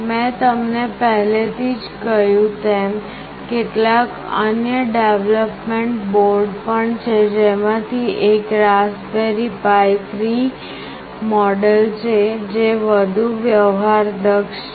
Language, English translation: Gujarati, As I have already told you there are some other development boards as well, one of which is Raspberry Pi 3 model that is much more sophisticated